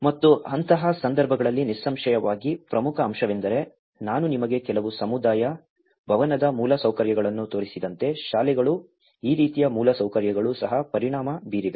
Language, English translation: Kannada, And in such kind of situations, obviously one of the important aspect is the schools like as I showed you some community hall infrastructure; even these kind of infrastructure has been affected